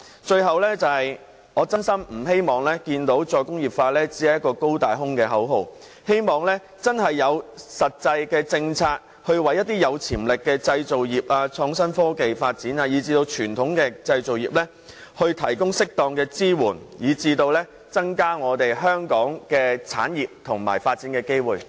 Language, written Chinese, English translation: Cantonese, 最後，我衷心希望"再工業化"不會淪為一個"高大空"的口號，希望當局推出實際的政策，為有潛力的製造業、創新科技發展及傳統製造業提供適當的支援，從而增加本港產業的發展機會。, Lastly I sincerely hope that re - industrialization will not be reduced to a grandiose but empty slogan . I urge the authorities to introduce practical policies to provide suitable support to the manufacturing industries the innovation and technology industries and the conventional industries with potential thereby increasing the development opportunities for industries in Hong Kong